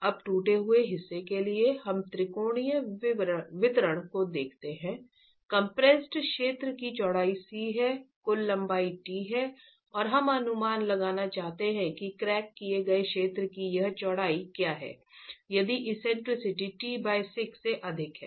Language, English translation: Hindi, Now for the cracked portion we look at a triangular distribution, the width of the compressed zone is C, the total length is T and we want to estimate what is this width of the cracks zone in case the eccentricity is greater than t by six